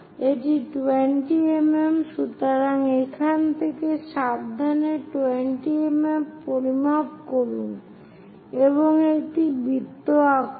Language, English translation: Bengali, So, carefully pick measure 20 mm from here draw a circle